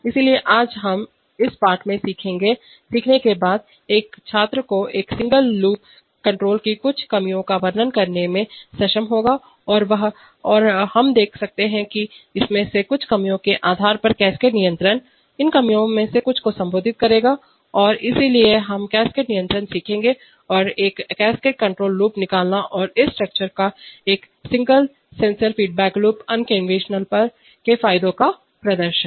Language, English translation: Hindi, So today after learning this lesson the student should be able to describe some drawbacks of single loop control and based on some of these drawbacks we can see that cascade control will address some of these drawbacks and therefore we will learn cascade control and he should be able to draw a cascade control loop and demonstrate the advantages of this structure over a single sensor feedback loop unconventional